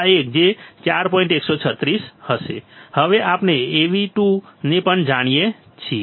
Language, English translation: Gujarati, So, we now know Av2 as well